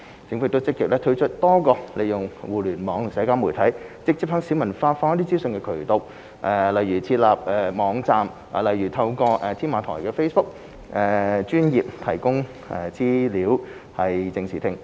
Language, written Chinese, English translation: Cantonese, 政府亦積極推出多個利用互聯網和社交媒體直接向市民發放資訊的渠道，如設立網站和透過"添馬台 "Facebook 專頁，提供資料以正視聽。, The Government has also actively introduced various Internet - and social media - based channels for instance websites and the Tamar Talk Facebook Page for disseminating information to the public with a view to setting the record straight